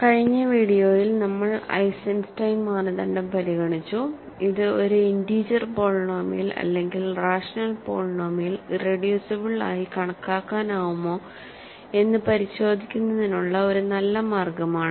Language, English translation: Malayalam, In the last video we considered the Eisenstein criterion which is a good way of measuring or checking whether a polynomial integer polynomial is irreducible either over the rationals or the integers